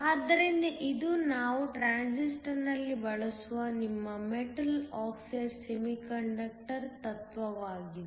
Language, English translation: Kannada, So, this is the principle of your Metal oxide semiconductor which we will use in the Transistor